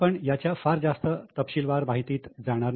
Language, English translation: Marathi, We will not go into too much of details of it